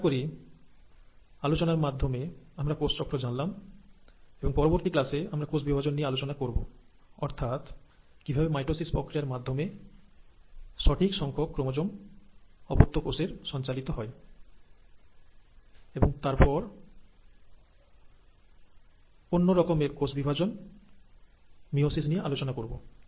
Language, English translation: Bengali, I think with that, we have covered cell cycle, and in our next class, we will actually talk about the process of cell division, that is how exact number of chromosomes get passed on to the daughter cells through mitosis, and then another form of cell division, which is meiosis